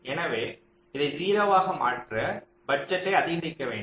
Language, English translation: Tamil, so to make this zero, you have to increase the budget here